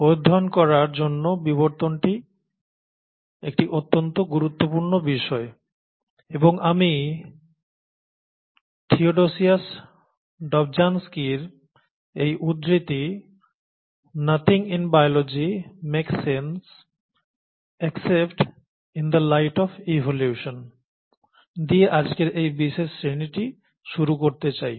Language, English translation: Bengali, Now, evolution is a very important subject and topic to study, and I would like to start this particular class by quoting Theodosius Dobzhansky, that “Nothing in biology makes sense except in the light of evolution”